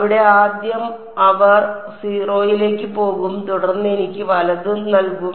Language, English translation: Malayalam, There first order they will go to 0 and then I will be left with L i’s right